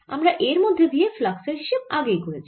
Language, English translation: Bengali, we've already calculated the flux through this